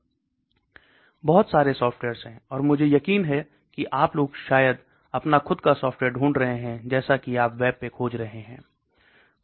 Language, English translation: Hindi, So lot of softwares, and I am sure you guys maybe finding your own software as you keep searching the web